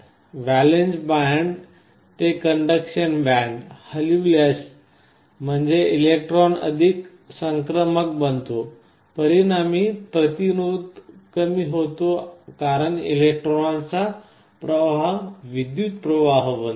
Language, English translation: Marathi, Valence band to conduction band if they move; that means, electrons become more mobile resulting in a reduction in resistance because flow of electrons result in a flow of current